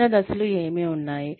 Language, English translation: Telugu, What are the smaller steps